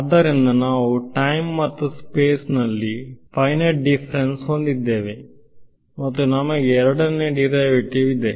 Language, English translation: Kannada, So, we have finite differences in time and space and we have a second derivative